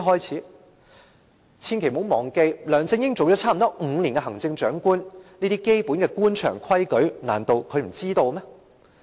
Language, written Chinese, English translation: Cantonese, 千萬不要忘記，梁振英已擔任行政長官約5年，這些基本的官場規矩，難道他不知道嗎？, Please do not forget that LEUNG Chun - ying has been in the office of the Chief Executive for five years . Are you telling me that he knows nothing about these basic rules of the official circle?